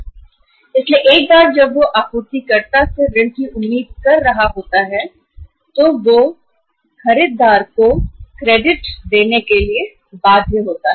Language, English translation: Hindi, So once he is expecting the credit from the supplier he is bound to give the credit to the buyer